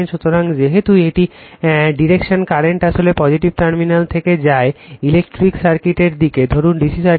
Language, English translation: Bengali, So, as it is direction current actually leads the positive terminal for your your what you call for electric circuit say DC circuit right